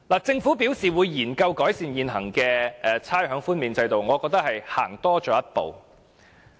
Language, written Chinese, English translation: Cantonese, 政府表示會研究改善現行的差餉豁免制度，我覺得已是走多了一步。, I think the Government has already taken a step forward by promising to study how to improve the current rates concession system